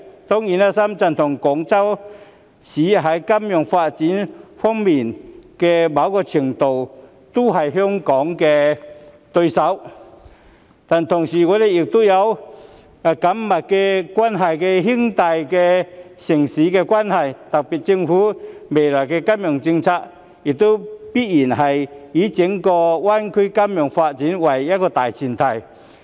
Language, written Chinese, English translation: Cantonese, 當然，深圳和廣州在某程度上也是香港在金融業發展方面的對手，但同時我們亦是有緊密關係的兄弟城市，特區政府未來的金融政策亦必然要以整個大灣區的金融業發展為大前提。, Certainly Shenzhen and Guangzhou to a certain extent are Hong Kongs competitors in the development of the financial industry but we are also closely related brother cities at the same time . Hence the future financial policies of the SAR Government must also take the development of the financial industry of the entire GBA as its major premise